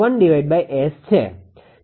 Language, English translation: Gujarati, 01 upon S